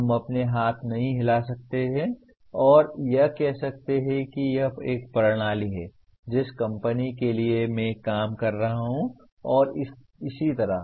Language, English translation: Hindi, We cannot wave our hands and say it is a system, the company that I am working for and so on